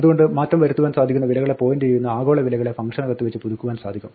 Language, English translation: Malayalam, So, global names that point to mutable values can be updated within a function